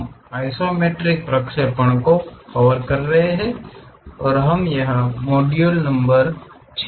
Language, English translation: Hindi, We are covering Isometric Projections and we are in module number 6